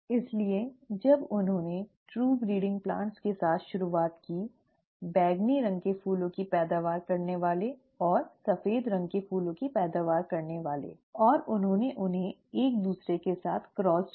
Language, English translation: Hindi, So when he started out with true breeding plants, the ones that yielded purple colour flowers and the ones that yielded white , white colour flowers, and he crossed them with each other